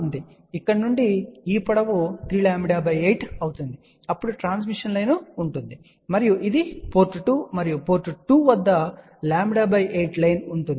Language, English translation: Telugu, So, from here this length will be now 3 lambda by 8, then there will be a transmission line and this is the port 2 and at port 2 there will be a lambda by 8 line